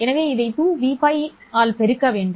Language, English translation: Tamil, So, you need to multiply this one by 2 v